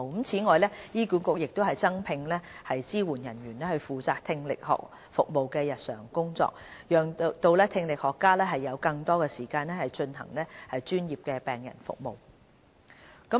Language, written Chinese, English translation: Cantonese, 此外，醫管局也增聘支援人員負責聽力學服務的日常工作，讓聽力學家有更多時間進行專業的病人服務。, HA will also recruit additional supporting staff to take care of the daily operation of the audiological services so that audiologists can spend more time on providing professional services to patients